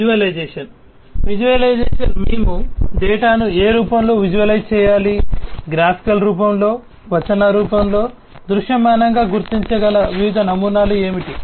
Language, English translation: Telugu, Visualization: visualization we are talking about in what form the data will have to be visualized, in graphical form, in textual form, what are the different patterns that can be visually identified